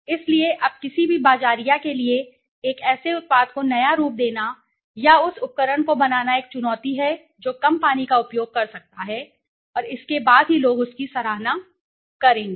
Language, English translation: Hindi, So now it is a challenge for any marketer to innovate or device a product which can use less water and then only the people will appreciate it, right